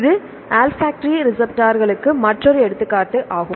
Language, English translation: Tamil, This is another example of olfactory receptors